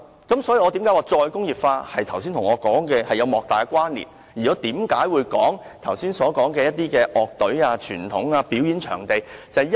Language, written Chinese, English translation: Cantonese, 因此，我認為"再工業化"與我剛才所說的有莫大關連，而這亦解釋了為何我剛才提及那些樂隊、傳統和表演場地。, I therefore consider re - industrialization highly relevant to what I said just now and this also explains why I talked about those bands traditions and performance venues just now